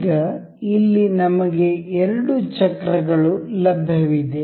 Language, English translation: Kannada, Now, here we have two wheels available